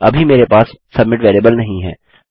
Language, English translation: Hindi, I dont have a submit variable at the moment